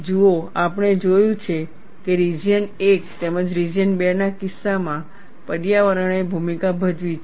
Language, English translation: Gujarati, See, we have seen environment has played a role, in the case of region 1 as well as in region 2